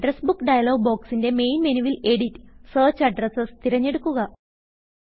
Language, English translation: Malayalam, From the Main menu in the Address Book dialog box, select Edit and Search Addresses